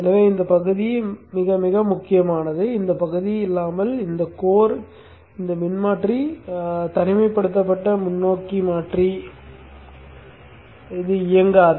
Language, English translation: Tamil, So this path is very very important without this path this transformer isolated forward converter will not work